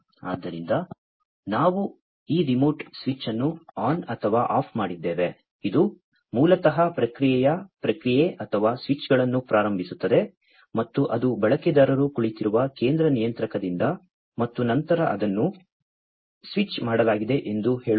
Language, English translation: Kannada, So, we have this remote switch on or off, which basically starts the process or switches of the process and that is from that central controller where the user is sitting and then let us say, that it is switched on, right